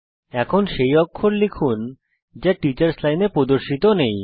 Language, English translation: Bengali, Now lets type a character that is not displayed in the teachers line